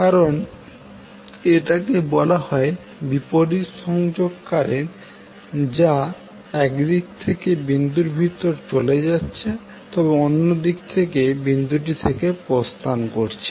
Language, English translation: Bengali, Because this is called opposing connection current is going inside the dot from one direction but exiting the dot from other side